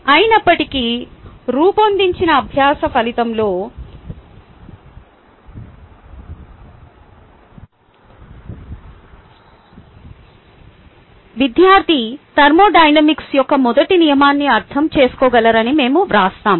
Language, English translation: Telugu, however, in the design learning outcome we write, the student will be able to understand first law of thermodynamics